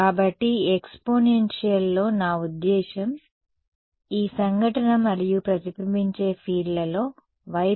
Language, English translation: Telugu, So, in this exponential I mean this incident and reflected fields, the y term will just cancel off right yeah